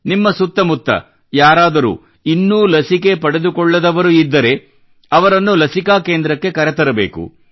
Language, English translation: Kannada, Those around you who have not got vaccinated also have to be taken to the vaccine center